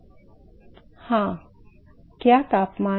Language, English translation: Hindi, Yeah temperature, what temperature